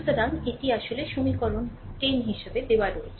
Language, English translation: Bengali, So, this is actually given as equation 10